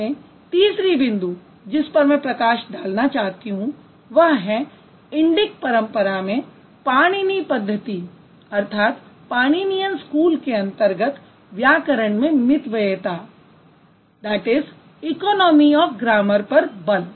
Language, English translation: Hindi, And finally, the third point that I want to highlight in the Indic tradition in Pananian school is he emphasized on economy of grammar